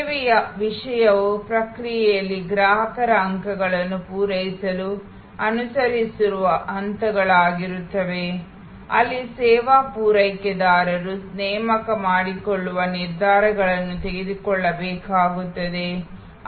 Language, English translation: Kannada, Service content will be steps that are followed to serve the customer points in the process, where the service provider employ may have to make decisions